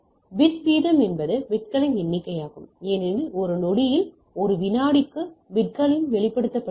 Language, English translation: Tamil, So, bit rate is the number of bits, since in one second expressed in bits per second right